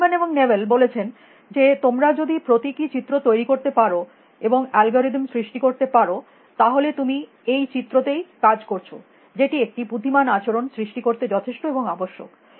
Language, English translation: Bengali, Simon and Newell they said that if you can create symbolic representations and create algorithm, you still work on this representation; that is sufficient and necessary to create intelligent behavior